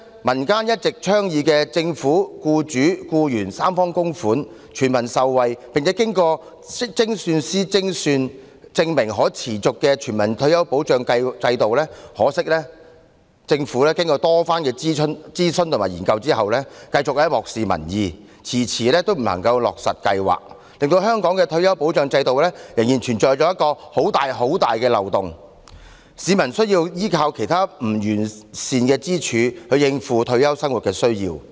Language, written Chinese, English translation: Cantonese, 民間一直倡議由政府、僱主及僱員三方供款，全民受惠，並經精算師計算證明可持續的全民退休保障制度，可惜政府經過多番諮詢及研究後繼續漠視民意，遲遲不肯落實，令香港的退休保障制度仍然存有一個很大的漏洞，市民需要依靠其他不完善的支柱，應付退休生活的需要。, Unfortunately after a number of consultation exercises and studies the Government continues to disregard public opinions and put off its implementation . As a result there is still a huge loophole in Hong Kongs retirement protection system . Members of the public have to rely on other less sound pillars to cope with their livelihood needs upon retirement